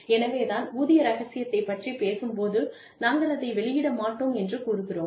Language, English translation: Tamil, So, when we talk about, pay secrecy, we say, we will not disclose it